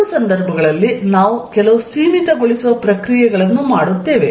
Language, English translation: Kannada, In both the cases, we will be doing some limiting processes